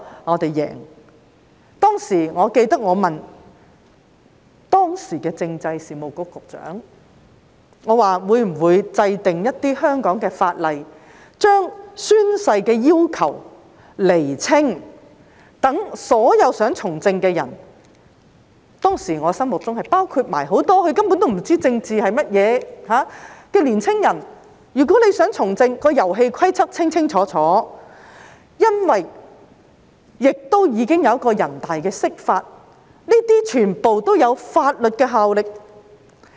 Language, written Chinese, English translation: Cantonese, 我記得當時我曾詢問時任政制及內地事務局局長會否制定香港法例，把宣誓的要求釐清，讓所有想從政的人——當時在我心目中，是包括很多根本不知政治為何物卻想從政的年青人清清楚楚了解遊戲規則，亦因為全國人民代表大會常務委員會已作出釋法，這些全部均具法律效力。, I remember asking the then Secretary for Constitutional and Mainland Affairs if legislation would be enacted in Hong Kong to clarify the requirements for the taking of oaths and affirmations so that all those who wanted to enter politics including in my mind back then many young people who did not know what politics was all about but wanted to enter politics would clearly know the rules of the game all of which would have legal effect also because the Standing Committee of the National Peoples Congress had interpreted the law